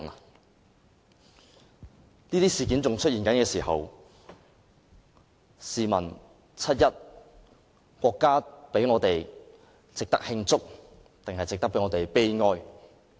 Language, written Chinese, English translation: Cantonese, 當這些事件仍在出現的時候，試問七一是值得慶祝抑或值得悲哀？, When incidents like these are still happening may I ask if 1 July is worth celebrating or mourning?